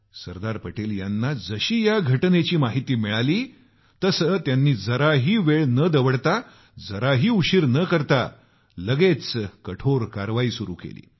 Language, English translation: Marathi, When Sardar Patel was informed of this, he wasted no time in initiating stern action